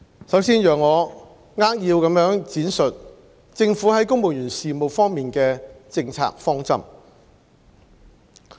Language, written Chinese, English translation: Cantonese, 首先，請讓我扼要地闡述政府在公務員事務方面的政策方針。, First let me briefly explain the Governments policy directions in relation to the civil service